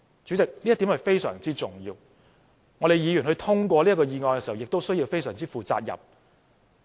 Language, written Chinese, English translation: Cantonese, 主席，這一點非常重要，議員通過議案時，也必須非常負責任。, President this point is very important and when Members pass a motion they must do so in a very responsible manner